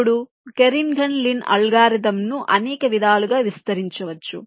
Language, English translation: Telugu, now this kernighan lin algorithm can be extended in several ways